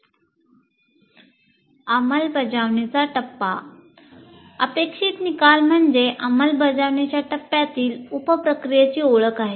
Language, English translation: Marathi, Now we move on to the implement phase and the intended outcome of this unit is identification of sub processes of implement phase